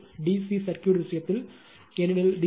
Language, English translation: Tamil, In the case of D C circuit, because in D C supply